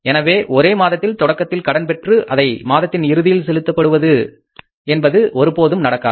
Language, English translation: Tamil, So, borrowing in the beginning of one month and repayment at the end of the next month